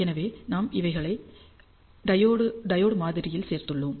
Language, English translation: Tamil, So, we have also included those into the diode model